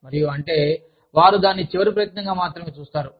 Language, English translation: Telugu, And, that is, when they see it, as a last resort